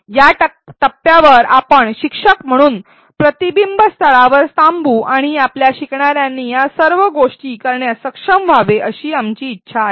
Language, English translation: Marathi, At this point let us pause at a reflection spot as instructors we want our learners to be able to do all these things